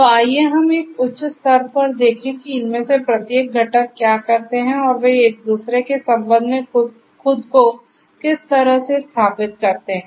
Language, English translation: Hindi, So, let us look at a very high level what each of these components do and how they position themselves with respect to each other